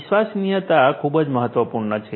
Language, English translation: Gujarati, Reliability is very important